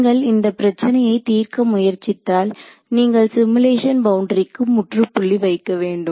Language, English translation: Tamil, So, when you go to solve try to solve this problem in a simulation you have to end the simulation boundary somewhere right